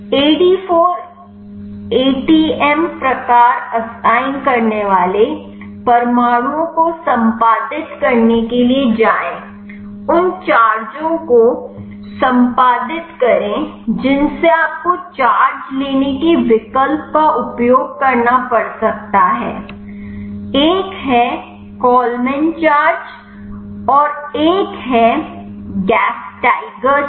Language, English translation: Hindi, Go to edit atoms assign AD4 atom type, edit charges you have to add charges you can use to charge options one is Kollman charges another one is gasteiger charges